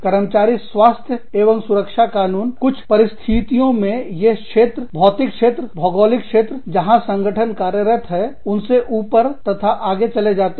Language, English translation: Hindi, Employee health and safety laws, in some cases, are its go above and beyond the region, the physical region, geographical region, that the organization is operating in